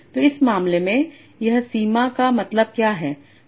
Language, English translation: Hindi, So in this case, what this boundary means